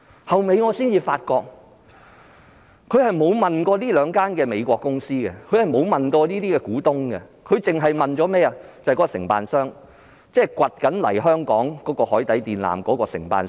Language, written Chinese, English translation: Cantonese, 我及後才發現，局方並沒有向該兩間美國公司或股東查詢，只詢問了承辦商，即正在挖掘海床敷設海底電纜的承辦商。, Later on I discovered that the authorities had not raised any enquiries with those two American corporations or shareholders and they had only asked the contractor―the contractor that was excavating the seabed to lay the submarine cable lines